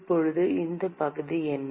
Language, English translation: Tamil, Now, what is the area